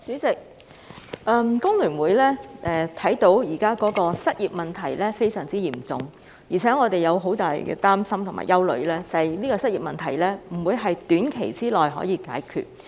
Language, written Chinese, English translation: Cantonese, 主席，香港工會聯合會看到，失業問題現時非常嚴重，而我們也相當擔心和憂慮，失業問題不會在短期內得到解決。, President the Hong Kong Federation of Trade Unions FTU can see that the unemployment problem is extremely serious now . More so we are deeply concerned and worried that the unemployment problem will not be resolved in the short term